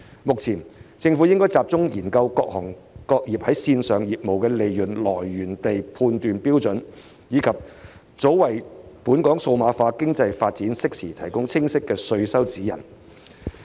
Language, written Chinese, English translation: Cantonese, 目前，政府應集中研究各行各業線上業務的利潤來源地判斷標準，並及早為本港數碼化經濟發展，適時提供清晰的稅收指引。, At present the Government should focus on studying the criteria for determining the sources of profits of online businesses of various trades and industries and providing a clear and timely taxation guidelines for the development of digital economy in Hong Kong as early as possible